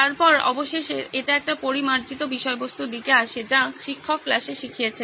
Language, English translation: Bengali, Then finally it comes to one refined content which is what teacher has taught in the class